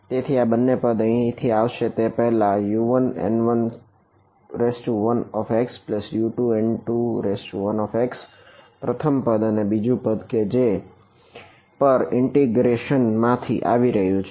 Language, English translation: Gujarati, So, both of these terms will come from here as before right U 1 N 1 1 x plus U 2 N 1 2 x first term and another term which is coming from integration over